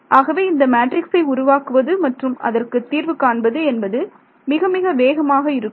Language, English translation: Tamil, So, to build the matrices fast the matrices itself fast to solve it is also fast